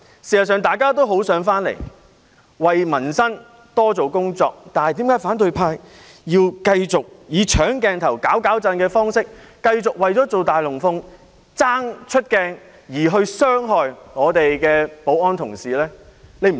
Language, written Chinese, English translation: Cantonese, 事實上，大家都很想來到這裏，為民生多做工作，但為何反對派要繼續以"搶鏡頭"、"攪攪震"的方式，繼續為了做"大龍鳳"、爭取出鏡而傷害保安同事呢？, In fact we all wish to come here and make more endeavours for the peoples livelihood but why does the opposition camp keep on stealing the spotlight and stirring up troubles continue to stage a big show and strive to gain exposure in front of the camera by harming our security staff?